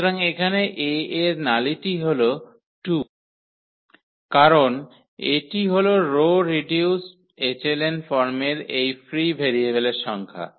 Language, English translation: Bengali, So, here the nullity of A is 2 because of this is a precisely the number of this free variables in row reduced echelon form